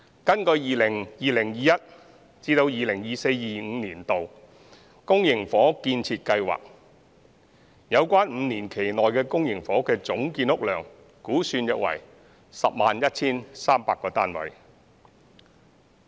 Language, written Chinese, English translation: Cantonese, 根據 2020-2021 年度至 2024-2025 年度公營房屋預測建屋量，有關5年期內的公營房屋的總建屋量估算約為 101,300 個單位。, According to the public housing construction programme for the period from 2020 - 2021 to 2024 - 2025 the estimated total public housing production in this five - year period is about 101 300 units